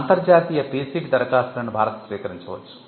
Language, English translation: Telugu, India can receive international PCT applications